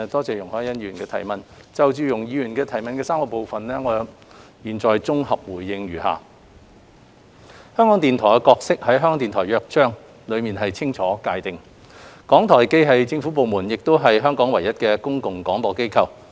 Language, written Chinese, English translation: Cantonese, 就容海恩議員所提質詢的3個部分，我現在綜合答覆如下：香港電台的角色在《香港電台約章》內清楚界定，港台既是政府部門，亦是香港唯一的公共廣播機構。, My consolidated reply to the three parts of Ms YUNG Hoi - yans question is as follows The roles of Radio Television Hong Kong RTHK are clearly defined in the Charter of Radio Television Hong Kong . RTHK is both a government department and the only public service broadcaster in Hong Kong